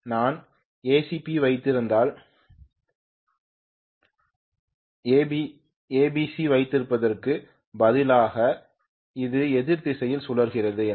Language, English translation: Tamil, Instead of having ABC if I am having ACB that means if it is rotating in the opposite direction